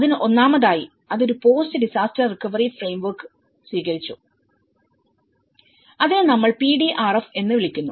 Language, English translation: Malayalam, So, first of all, it has adopted a post disaster recovery framework which we call as PDRF